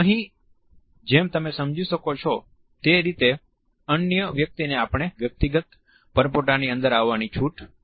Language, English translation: Gujarati, Here, as you can understand the other person is allowed to intrude into our personal bubble